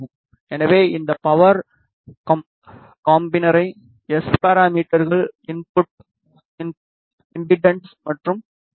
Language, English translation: Tamil, So, we will be using this power combiner measure the S parameters input impedance and VSWR